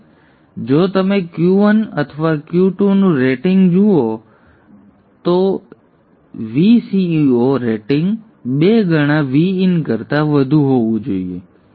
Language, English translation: Gujarati, Now if you look at the rating for Q1 or Q2, see the VCEO rating for either Q1 or Q2 is should be greater than 2 times VIN